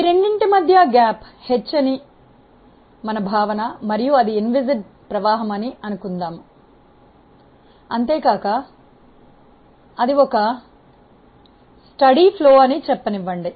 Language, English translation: Telugu, The gap between these two, let us say the gap is h and our assumption is that it is inviscid flow and let us say steady flow